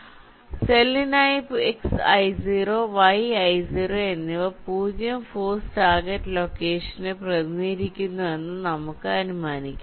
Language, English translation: Malayalam, so, ah, for the cell i, lets assume that x, i zero and yi zero will represents the zero force target location